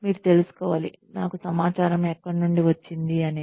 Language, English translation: Telugu, You should know, where I have got the information from